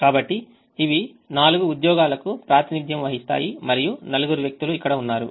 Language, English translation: Telugu, so these represent the four jobs and this represents the four people